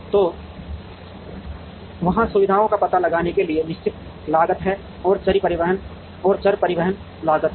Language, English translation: Hindi, So, there is a certain fixed cost of locating the facilities and there is the variable transportation cost